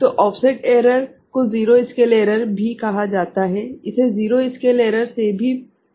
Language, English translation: Hindi, So, offset error is also called zero scale error ok, this is also known as zero scale error